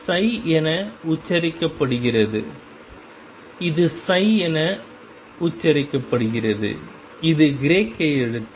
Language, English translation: Tamil, This is pronounced psi it is pronounce as psi, it is Greek letter